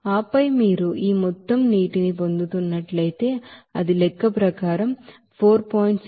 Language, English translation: Telugu, And then, if you are getting this amount of water, that is as per calculation, it is coming as 4